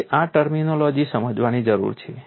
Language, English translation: Gujarati, You need to understand this terminology